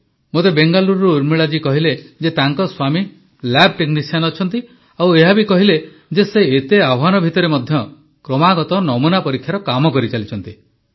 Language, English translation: Odia, I have been told by Urmila ji from Bengaluru that her husband is a lab technician, and how he has been continuously performing task of testing in the midst of so many challenges